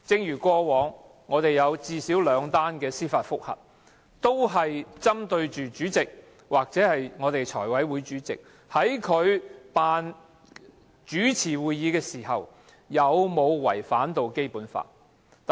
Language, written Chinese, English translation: Cantonese, 以往最少有兩宗司法覆核，均針對主席或財務委員會主席在主持會議時有否違反《基本法》。, There were at least two cases of judicial review in the past both of which being directed at the President of the Council or the Chairman of the Finance Committee for their suspected violations of the Basic Law when presiding over meetings